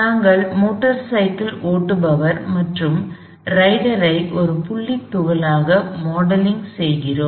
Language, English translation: Tamil, We are modeling the motor cyclist plus the rider as a point Particle